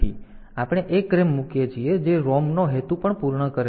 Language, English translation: Gujarati, So, we put a RAM that also serves the purpose of the ROM